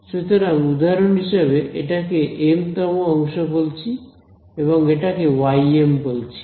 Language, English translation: Bengali, So, for example, this let us call this m th segment and let us call this y m